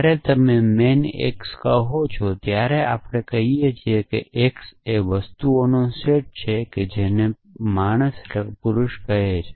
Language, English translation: Gujarati, So, when you say man x we say that x belongs to the set of thing, which is call men